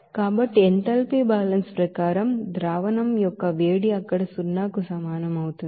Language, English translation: Telugu, So as per enthalpy balance that heat of solution will be equals to zero there